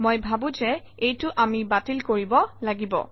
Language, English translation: Assamese, I think this is something we have to cancel